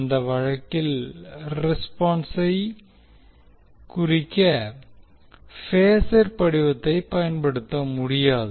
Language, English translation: Tamil, In that case, the phasor form cannot be used for representing the answer